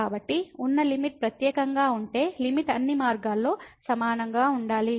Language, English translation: Telugu, Since, the limit if exist is unique the limit should be same along all the paths